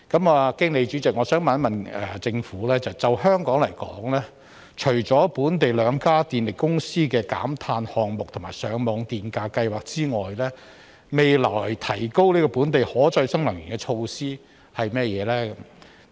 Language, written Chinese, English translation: Cantonese, 我想經主席詢問政府，就香港來說，除了本地兩家電力公司的減碳項目及上網電價計劃外，未來有甚麼措施可提高本地可再生能源的比例呢？, Through you President I would like to ask the Government this Insofar as Hong Kong is concerned apart from the decarbonization projects and the Feed - in Tariff Scheme of the two local power companies what other measures will be adopted in the future to increase the proportion of local renewable energy?